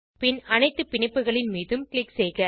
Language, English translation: Tamil, Then click on all the bonds